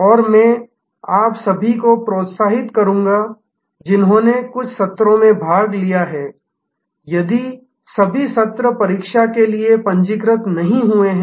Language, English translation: Hindi, And I would encourage all of you who have attended even some of the sessions, if not all the sessions to register for the examination